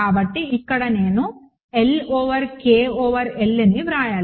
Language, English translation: Telugu, So, here of course, I should write L over K over L